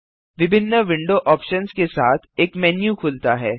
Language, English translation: Hindi, A menu opens containing different window options